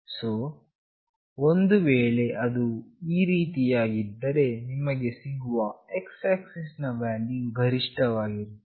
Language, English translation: Kannada, So, if it is like this, the x axis value you will receive the highest one